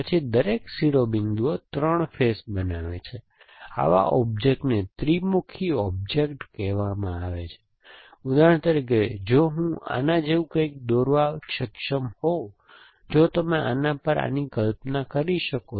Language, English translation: Gujarati, Then every vertices made up 3 faces, such object are called trihedral object and certain object, for example if I am able to draw something like this, if you can imagine this over this let me object like this